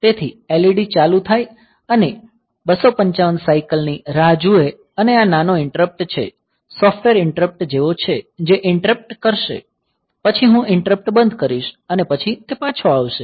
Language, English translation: Gujarati, So, the LED is turned on wait for 255 cycles by this is small delay look software delay look is there which will be putting a delay; then I will turn off the delay and then it will return